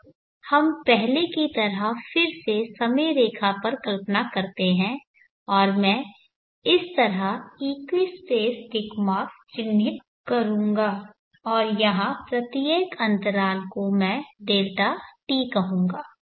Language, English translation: Hindi, Now let us visualize again like before on a timeline and I will mark equates ticks marks like this and each interval here is what I will call